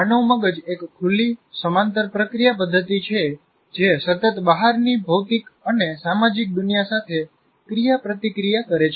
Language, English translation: Gujarati, And the human brain is an open parallel processing system continually interacting with physical and social worlds outside